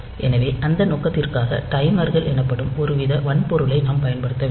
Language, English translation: Tamil, So, we have to use some sort of hardware called timers for that purpose